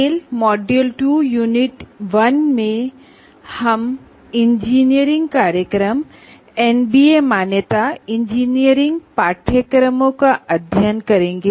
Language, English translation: Hindi, So tell the module two, the unit 1 is we are going to look at engineering programs, what are they, MBA accreditation and engineering courses